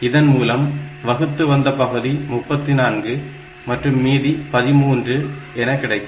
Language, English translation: Tamil, So, this will give you quotient as 34 and reminder value as 13